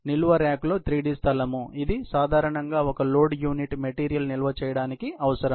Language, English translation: Telugu, It is a three dimensional space in the storage rack that is normally, required to store single load unit of material